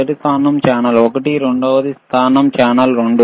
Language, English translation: Telugu, First position is for the channel one, second position is for channel 2